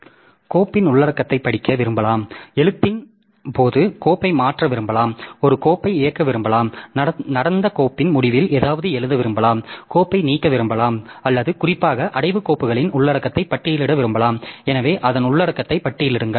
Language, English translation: Tamil, So, I may want to read the content of the file, I may want to modify the file by doing the right, I may want to execute a file, I may want to write something at the end of the file that is happened, I may want to delete the file or I may want to just list the content of the particular the directory files, so list the content of that